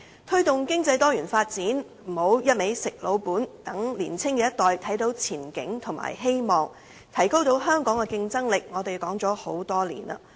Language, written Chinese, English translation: Cantonese, 推動經濟多元發展，不要只是"吃老本"，讓年青一代看到前景和希望，提高香港的競爭力，這些我們說了很多年。, To promote the development of diversified economy we should not just live off our past glory but should also let the younger generation see prospects and hopes and enhance Hong Kongs competitiveness . Such remarks have been made over the years